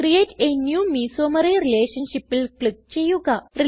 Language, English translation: Malayalam, Click on Create a new mesomery relationship